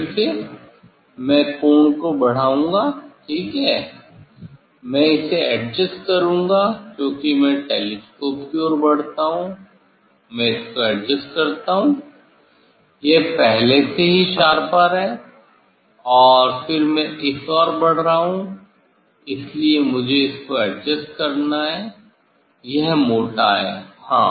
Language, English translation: Hindi, again, I will increase the angle, ok, I will adjust this one because I move towards the telescope, I adjust this one, it is already sharper, and then this I am moving towards the, so I have to adjust this one it is thicker, yes